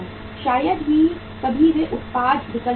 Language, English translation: Hindi, Sometime they change the product options